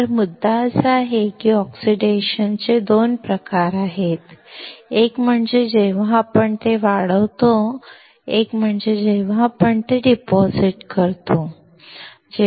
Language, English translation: Marathi, So, the point is there are 2 types of oxidation; one is when we grow it, one when we deposit it